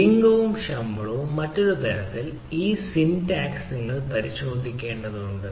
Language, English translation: Malayalam, so what we do, gender and salary, in other sense this uh syntax you need to check up